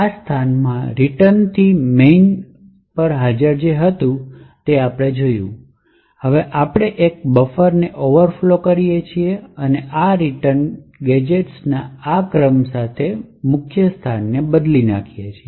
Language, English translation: Gujarati, This location originally had the return to main which we had seen and now we overflow a buffer and replace this return to main with this sequence of gadgets